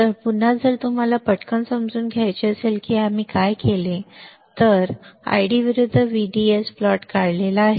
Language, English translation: Marathi, So, again if you want to understand quickly what we have done; what we have done here that we have drawn the ID versus VDS plot